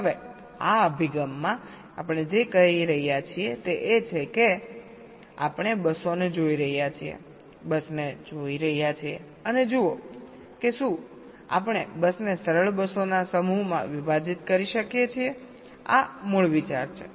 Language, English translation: Gujarati, now, in this approach, what we are saying is that we are looking at the buses, look at a bus and see whether we can split or partition a bus into a set up simpler buses